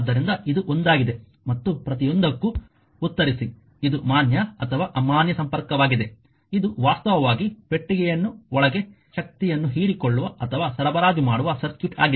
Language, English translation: Kannada, So, this is one then and answer for everything, this is a valid or invalid connection it is actually circuit inside the box absorbing or supplying power right